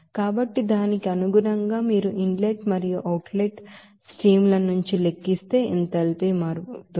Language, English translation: Telugu, So accordingly that enthalpy change if you calculate it from the inlet and outlet streams